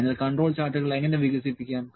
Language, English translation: Malayalam, So, how to develop the control charts